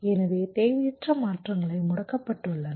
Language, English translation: Tamil, so unnecessary transitions are disabled